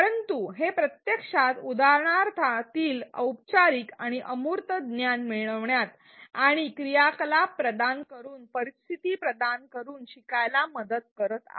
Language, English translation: Marathi, But it is actually helping the learner connect formal and abstract knowledge within the example and by providing scenarios by providing activities